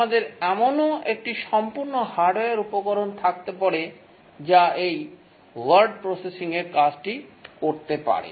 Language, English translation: Bengali, We can even have a small hardware component, entirely hardware, which can also do this word processing